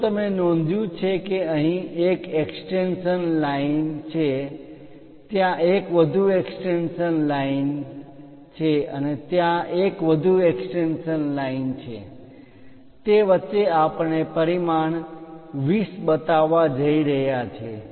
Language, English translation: Gujarati, If you are noticing here extension line here there is one more extension line there is one more extension line; in between that we are going to show dimension 20